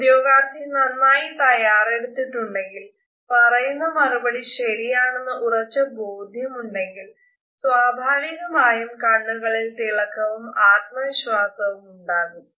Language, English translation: Malayalam, If a candidate is fully prepared and is confident that the answer he or she is providing is correct then automatically there would be a shine and confidence in the eyes